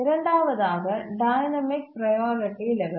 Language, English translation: Tamil, And the second point is dynamic priority levels